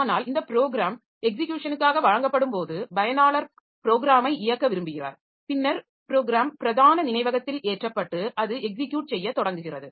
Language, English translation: Tamil, But when this program is given for execution, so the user wants to run the program then the program is loaded into main memory and it starts executing so it starts consuming CPU time and all